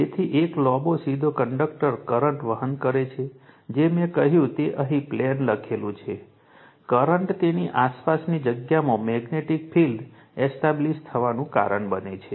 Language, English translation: Gujarati, So, a long straight conductor carrying current it whatever I said it is written here right into the plane, the current causes a magnetic field to be established in the space you are surrounding it right